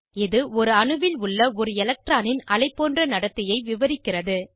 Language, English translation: Tamil, It describes the wave like behavior of an electron in an atom